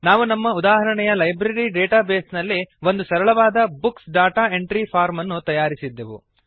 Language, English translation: Kannada, We created a simple Books data entry form in our example Library database